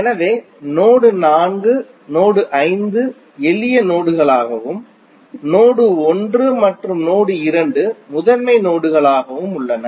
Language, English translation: Tamil, So node 4, node 5 are the simple nodes while node 1 and node 2 are principal nodes